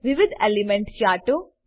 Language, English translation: Gujarati, Different Element charts